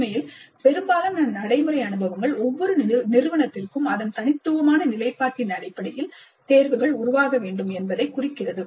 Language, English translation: Tamil, In fact, most of the practical experiences seem to indicate that choices need to evolve for each institute based on its own unique position